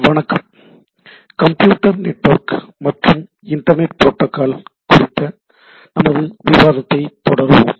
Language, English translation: Tamil, Hello so, we will continue our discussion on Computer Networks and Internet Protocol